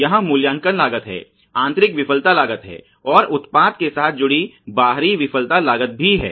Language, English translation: Hindi, There are appraisal costs ok, there are internal failure costs and external failure costs associated with product